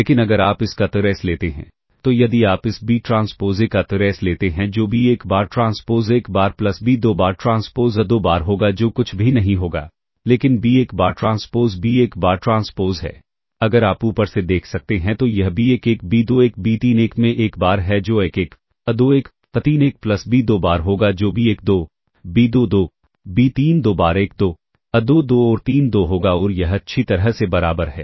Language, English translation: Hindi, And ah therefore, now you can check the various entries, but if you take the trace of this that is if you trick the trace of this b transpose a that will be ah b 1 bar transpose a 1 bar plus b 2 bar transpose a 2 bar which will be nothing, but b 1 bar transpose is ah well b 1 bar transpose if you can look from above that is b 1 1 b 2 1 b 3 1 into a 1 bar that is a 1 1 a 2 1 a 3 1 plus b 2 bar that will be b 1 2 b 2 2 b 3 2 times a 1 2 a 2 2 and a 3 2 And this is equal to well if you simplify this what you will get is b 1 one a one one plus b 2 one a two one plus b 3 1 ah plus b ah b 3 1 times a 3 1 plus b 1 2 a 1 2 plus b 2 2 times a 2 2 plus b 3 2 times a 3 2 ok and well this is the inner product this is your inner product ok and ah now in general for an m cross n